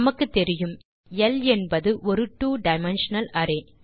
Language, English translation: Tamil, As we know L is a two dimensional array